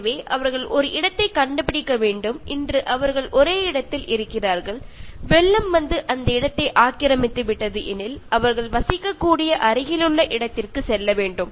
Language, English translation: Tamil, So, they have to find a place, so today they are in one place, flood comes and occupies that place they have to move to the nearby place where they can live